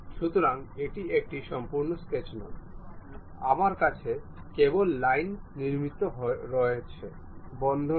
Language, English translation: Bengali, So, it is not a complete sketch, only lines I have constructed, not a closed one